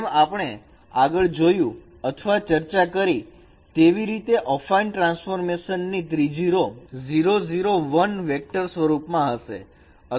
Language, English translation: Gujarati, As we have already seen or we have already discussed that the third row of the affine transformation should be in the form of a vector 0